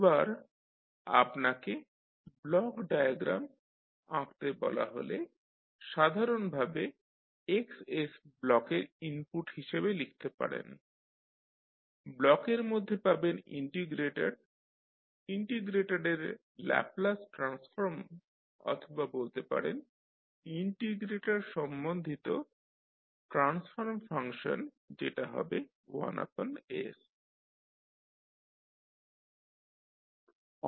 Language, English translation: Bengali, Now, when you are asked to find, to draw the block diagram you can simply write Xs as an input to the block, within the block you will have integrator the Laplace transform of the integrator or you can say the transfer function related to integrator that will be 1 by s into Ys